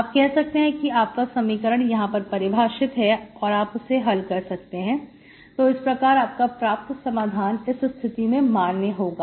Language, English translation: Hindi, So say my equation is valid here and here, so you take it here and you solve it, so the solution is valid only here